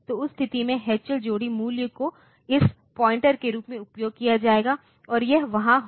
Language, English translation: Hindi, So, in that case that H L pair value will be used as a pointer, and that was there